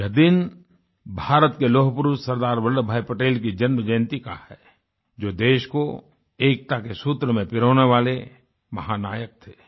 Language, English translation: Hindi, This day marks the birth anniversary of the Iron Man of India, Sardar Vallabhbhai Patel, the unifying force in bonding us as a Nation; our Hero